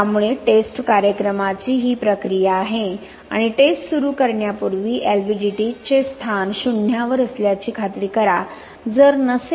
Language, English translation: Marathi, So these are the procedure for the test program and before starting the test ensure that LVDTs position are at zero if not offset the reading to make it zero